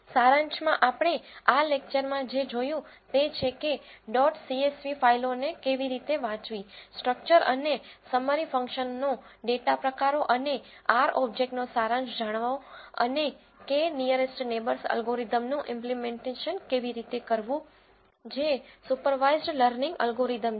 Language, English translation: Gujarati, In summary what we have seen in this lecture is how to read the dot csv files, how to use the structure and summary functions to know the data types and the summary of R objects and how to implement this K nearest neighbours algorithm, which is a supervised learning algorithm which needs labelled data